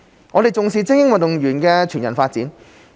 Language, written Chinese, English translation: Cantonese, 我們重視精英運動員的全人發展。, We value the whole - person development of elite athletes